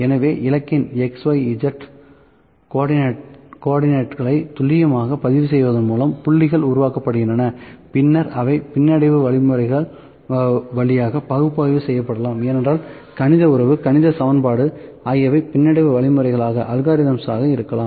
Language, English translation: Tamil, So, by precisely recording the X, Y and Z co ordinates of the target, points are generated which can then be analyzed via regression algorithms because we might we can have the mathematical relation, mathematical equation which are regression algorithms as well